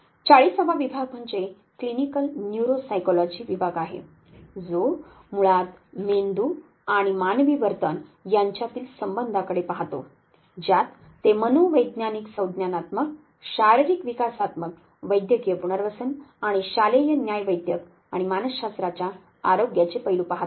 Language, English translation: Marathi, The 40th division is clinical neuropsychology division which basically looks at the relationship between brain and human behavior they do look at psychological cognitive, physiological developmental, clinical rehabilitation, and school forensic and health aspect of psychology